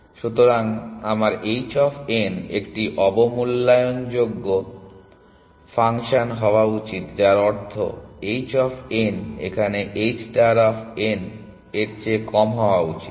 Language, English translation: Bengali, So, should my h of n be an underestimating function which means h of n should be less than h star of n